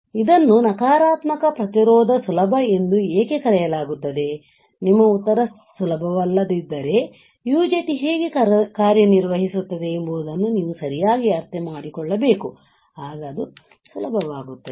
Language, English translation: Kannada, So, why it is called negative resistance easy right, if your answer is it is not easy, then you have to understand correctly how UJT works, then it will become easy